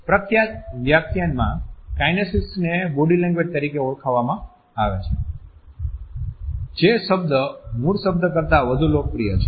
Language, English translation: Gujarati, In popular discourse kinesics is known as body language, the term which is more popular than the official one